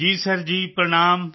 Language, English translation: Punjabi, Sir ji Pranaam